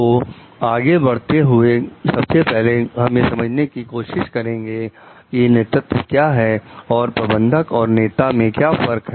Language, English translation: Hindi, So, moving forward, first we try to understand what is a leadership and what is the difference between a manager and the leader